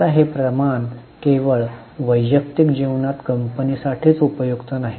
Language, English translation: Marathi, Now this ratio not only for the company even in the individual life it is useful